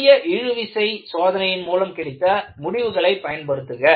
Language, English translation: Tamil, And, you utilize the result from a simple tension test of the yield strength